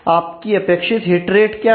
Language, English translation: Hindi, how many, what is your expected heat rate